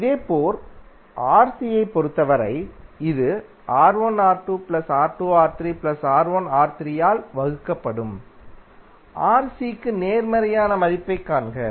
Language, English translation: Tamil, Similarly for Rc, it will be R1 R2 plus R2 R3 plus R3 R1 divided by; see the value opposite to Rc that is R3